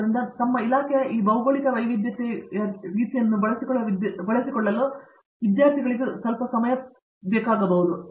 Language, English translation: Kannada, So, it takes a while for students who kind of get used to this geographic diversity of their department